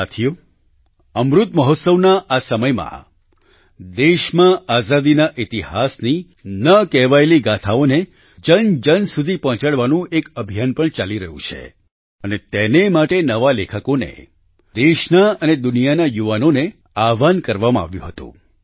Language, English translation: Gujarati, in this period of Amrit Mahotsav, a campaign to disseminate to everyone the untold stories of the history of freedom is also going on… and for this, upcoming writers, youth of the country and the world were called upon